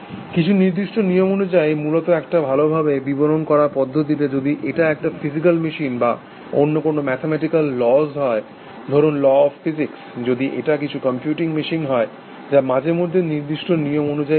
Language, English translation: Bengali, Basically in a well defined manner, according to certain rules, let us say laws of physics, if it is a physical machine or some other mathematical laws, if it is some computing machine, something which operates, according to fixed set of rules